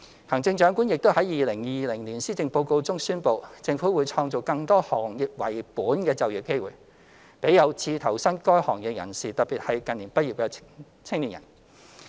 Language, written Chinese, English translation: Cantonese, 行政長官亦已在2020年施政報告中宣布，政府會創造更多行業為本的就業機會，給有志投身該行業的人士，特別是近年畢業的青年。, The Chief Executive has also announced in the 2020 Policy Address that the Government would create more sector - specific job opportunities for people aspiring to join the industries particularly young people graduating in recent years